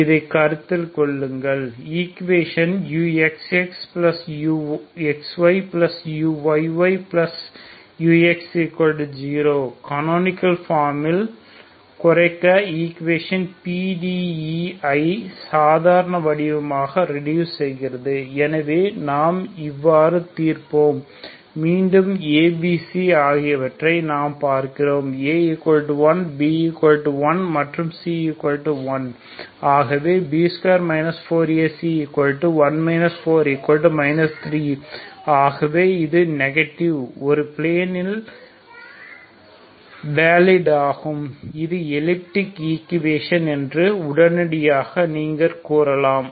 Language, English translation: Tamil, So consider this U X X so the equation is U X X plus U X Y plus U Y Y plus U X equal to zero reduce into canonical form reduce the equation reduce the PDE into normal form so how do we solve again we see look at A B C A is 1 B is 1 and C is 1 so B square minus 4 A C value is 1 minus 4 that is minus 3 so this is negative immediately you can say that the equation that is valid in the full plane is elliptic, elliptic equation